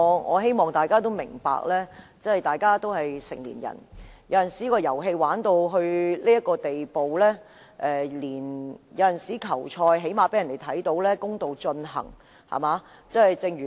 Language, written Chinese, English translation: Cantonese, 我希望大家明白，大家都是成年人，有時候玩遊戲玩到這個地步，最少也要讓人看到球賽是公道地進行的，對嗎？, But there is something really unacceptable is there not? . I hope Members will understand that we are all adults . Sometimes when the game has reached such a state at least we should let people see that the match is played out in a level playing field right?